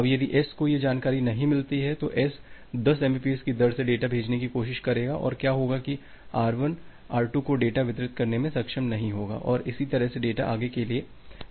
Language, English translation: Hindi, Now if S does not get this information, S will try to push the data at a rate of 10 mbps and what will happen that R1 will not be able to deliver the data to R2 and so on